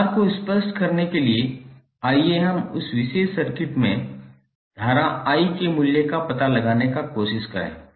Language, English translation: Hindi, Now, to get the idea more clear, let us try to find out the value of current I in this particular circuit